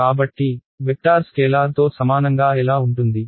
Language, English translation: Telugu, So, how can a vector be equal to scalar